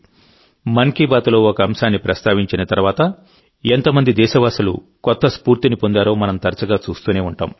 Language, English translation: Telugu, We often see how many countrymen got new inspiration after a certain topic was mentioned in 'Mann Ki Baat'